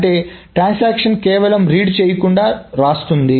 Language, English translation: Telugu, So that means a transaction simply writes without reading